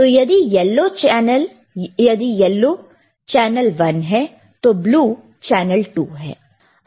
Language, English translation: Hindi, So, if yellow is channel one and blue is channel 2 excellent